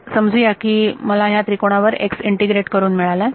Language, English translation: Marathi, So, supposing I got x integrated over this triangle